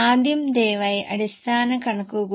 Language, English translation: Malayalam, So, please note it